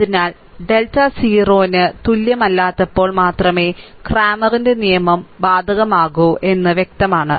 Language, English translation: Malayalam, So, only thing is that it is evident that cramers rule applies only when you are what you call, that your delta not is equal to 0